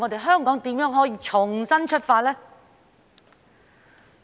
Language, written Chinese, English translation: Cantonese, 香港如何重新出發呢？, How can Hong Kong relaunch with renewed perseverance?